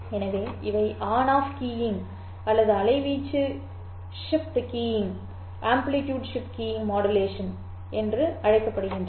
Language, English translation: Tamil, So, this is the so called on off keying or the amplitude shift keying modulation formats